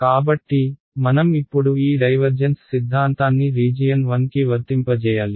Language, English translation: Telugu, So, we need to now apply this divergence theorem to region 1 over here ok